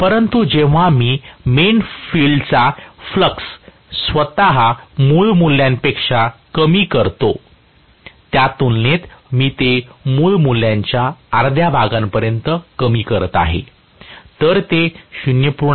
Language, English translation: Marathi, But when I have decreased the main field flux itself to original value, compared to that I am decreasing it to half the original value, then may be from 0